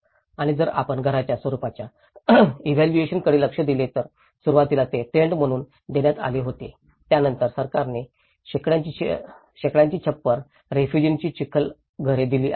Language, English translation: Marathi, And if you look at the evolution of house forms, initially they were given as a tents, then the government have provide with thatched roofs, mud houses of refugees